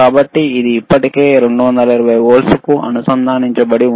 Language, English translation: Telugu, So, can we it is already connected to 220 volts